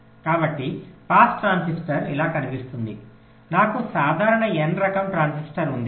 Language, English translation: Telugu, so a pass transistor looks like this: i have a simple n type transistor